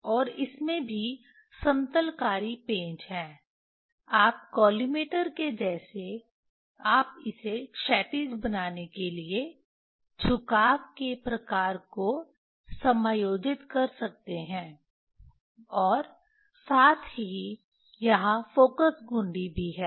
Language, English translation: Hindi, And it has also leveling screw like collimator you can, you can adjust the type of tilting to make it horizontal as well as there is a focus knob